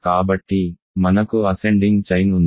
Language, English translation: Telugu, So, we have an ascending chain